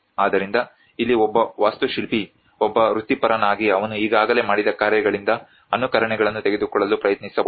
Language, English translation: Kannada, So here one can see as an architect as a professional try to take an imitations from what already he has done